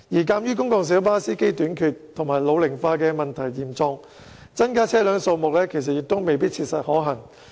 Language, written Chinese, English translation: Cantonese, 鑒於公共小巴司機短缺及老齡化的問題嚴重，增加車輛數目其實亦未必切實可行。, In fact given the acute shortage and ageing problems of PLB drivers increasing the number of vehicles may not be practicable